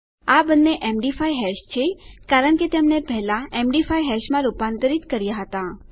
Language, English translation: Gujarati, These are both md5 hashes because we converted them into an md5 hash earlier